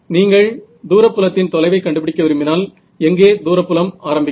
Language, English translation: Tamil, If you wanted to find out what is the far field distance, where does the far field begin